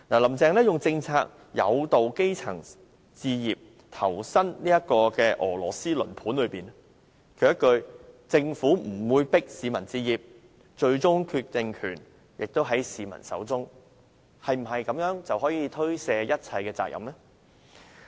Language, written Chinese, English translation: Cantonese, "林鄭"利用政策誘導基層置業，投身俄羅斯輪盤中，她一句"政府不會迫市民置業，最終決定權在市民手中"，是否就可推卸所有責任？, Through policy incentives Carrie LAM entices grass roots into home purchase and a game of Russian roulette . Did she think that she can free herself of all responsibilities by simply saying the Government will not force people to buy homes it is ultimately their decision?